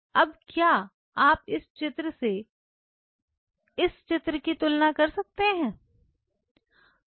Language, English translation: Hindi, Now, could you compare this picture versus this picture